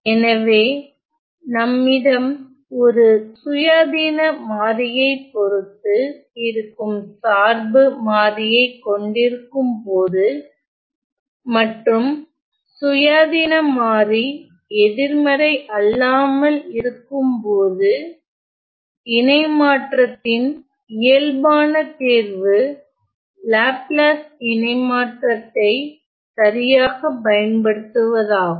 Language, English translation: Tamil, So, when we have a dependent variable which depends on the independent variable and the independent variable is nonnegative the natural choice of the transform is to use Laplace transform right